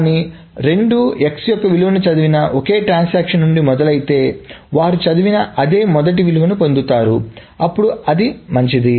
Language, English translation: Telugu, But if both of them starts from the same transaction that reads the value of X, then of course they get the same initial value that is read